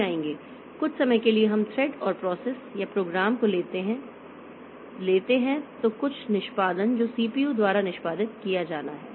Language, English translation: Hindi, So, for the time being we take thread and process or program same, that is some execution, something that is to be executed by the CPU